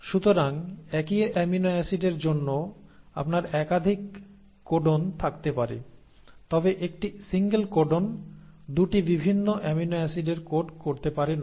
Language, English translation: Bengali, So you can have multiple codons for the same amino acid but a single codon cannot code for 2 different amino acids